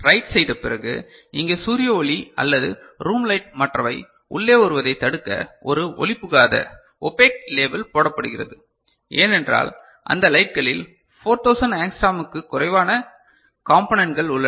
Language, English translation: Tamil, After writing an opaque label is put over here to prevent sunlight or room light coming in other because those light has components which is less than 4000 angstrom